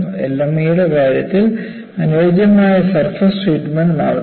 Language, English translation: Malayalam, In the case of LME, go for a suitable surface treatment